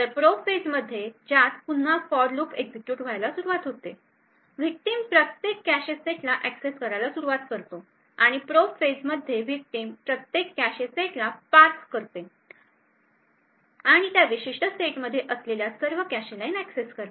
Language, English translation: Marathi, So in the probe phase which is again this for loop being executed the victim would start to access every cache set and in the probe phase the victim would parse through every cache set and access all the cache lines present in that particular set and at that time it would also measure the time required to make these accesses